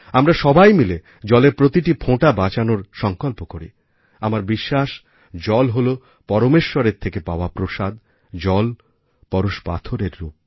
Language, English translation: Bengali, We together should all resolve to save every drop of water and I believe that water is God's prasad to us, water is like philosopher's stone